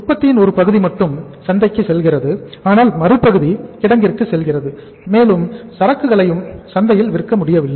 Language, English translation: Tamil, So part of the product is going to the market but part of the product is going to the warehouse and you are not able to sell that product in the market